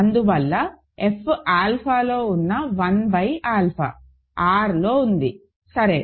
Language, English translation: Telugu, And hence one by alpha which is in F alpha is in R, ok